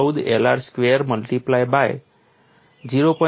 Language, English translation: Gujarati, 14 L r square multiplied by 0